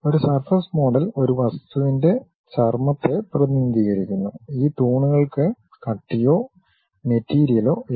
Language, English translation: Malayalam, A surface model represents skin of an object, these skins have no thickness or the material